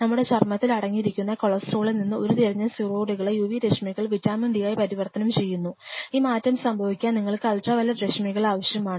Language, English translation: Malayalam, So, what we observe the UV what happened steroids derived from cholesterol which are present in our skin, underneath the skin they get converted into vitamin d and for this reaction to happen you need ultraviolet rays